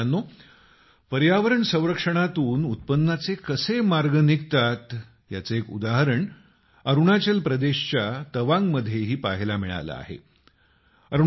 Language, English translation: Marathi, an example of how protection of environment can open avenues of income was seen in Tawang in Arunachal Pradesh too